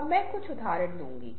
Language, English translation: Hindi, i can say some example